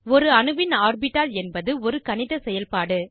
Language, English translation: Tamil, An atomic orbital is a mathematical function